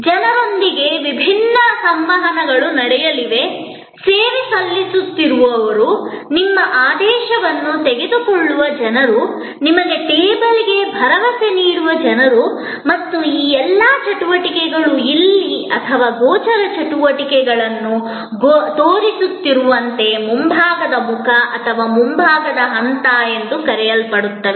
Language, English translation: Kannada, There will be different interactions with the people, who are serving, people who are taking your order, people who are assuring you to the table and all these activities are the so called front facing or front stage as it is showing here or visible activities